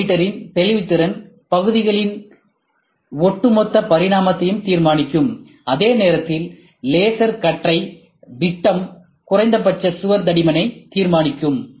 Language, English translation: Tamil, The resolution of galvometer would determine the overall dimension of parts build, while the diameter of the laser beam would determine the minimum wall thickness